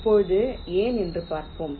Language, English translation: Tamil, now lets see why